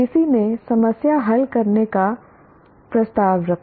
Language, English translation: Hindi, Someone proposed a taxonomy of problem solving